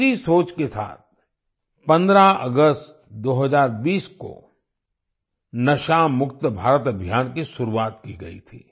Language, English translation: Hindi, With this thought, 'NashaMukt Bharat Abhiyan' was launched on the 15 August 2020